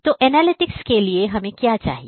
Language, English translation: Hindi, So, for analytics we need what